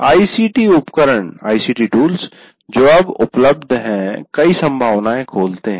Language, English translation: Hindi, And now ICT tools that are now available, they open up many possibilities